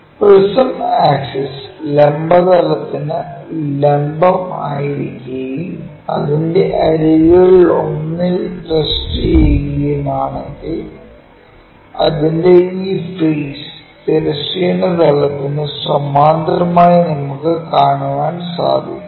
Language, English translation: Malayalam, Similarly, if prism is prism axis is perpendicular to vertical plane and resting on one of the edge and when we are looking at that this entire face is parallel to horizontal plane